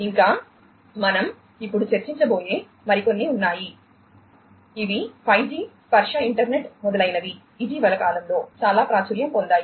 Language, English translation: Telugu, Plus there are few others that we are going to discuss now, which are like 5G tactile internet etcetera which have become very popular, in the recent times